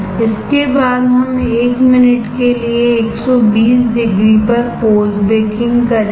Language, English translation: Hindi, After this we will do post baking post baking at 120 degree for 1 minute